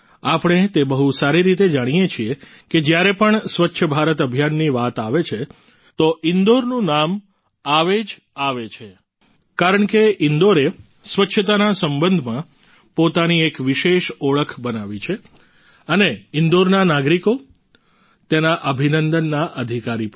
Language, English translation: Gujarati, We know very well that whenever the topic Swachh Bharat Abhiyan comes up, the name of Indore also arises because Indore has created a special identity of its own in relation to cleanliness and the people of Indore are also entitled to felicitations